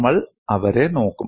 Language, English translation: Malayalam, We would look at them